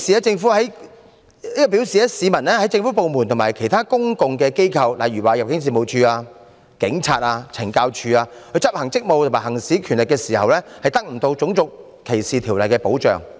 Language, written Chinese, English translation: Cantonese, 這表示當政府部門和其他公共機構，例如入境事務處、香港警務處及懲教署執行職務和行使權力時，市民得不到《種族歧視條例》的保障。, That means when government departments or public organizations eg . the Hong Kong Police and the Correctional Services Department are performing their functions or exercising their powers members of the public will not be protected under RDO . Let me give an example